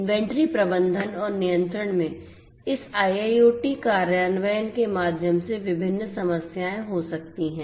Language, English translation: Hindi, There are different problems that can occur through this IIoT implementation in inventory management and control